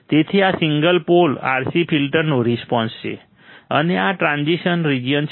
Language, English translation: Gujarati, So, this is response of single pole RC filter, and this is the transition region